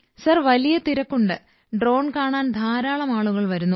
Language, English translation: Malayalam, Sir, there is a huge crowd… many people come to see the drone